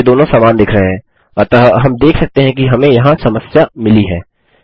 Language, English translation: Hindi, They both look the same to me, so we can see that weve got a problem here